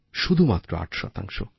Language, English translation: Bengali, Just and just 8%